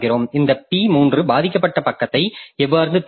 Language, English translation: Tamil, Then how this P3 will select a victim page